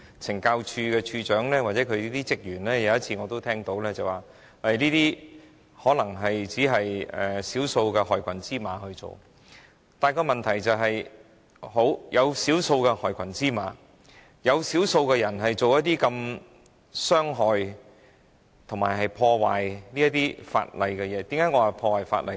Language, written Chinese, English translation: Cantonese, 懲教署署長或懲教署人員或說，這可能只是少數害群之馬的行為，但問題是，少數害群之馬這樣傷害他人也屬違法行為。, The Commissioner of Correctional Services or CSD staff may say that this may only be the conduct of a handful of black sheep but the problem is that it is also illegal for a few black sheep to hurt others this way